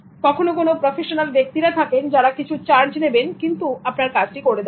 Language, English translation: Bengali, Sometimes there are professionals who charge something and then do it for you